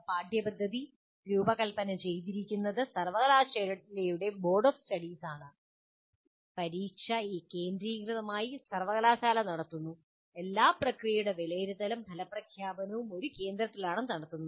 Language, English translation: Malayalam, Curculum is designed by Board of Studies of the University and then examination is conducted by the university centrally and then evaluation is done, the results are declared, everything, all the processes are done by the one central place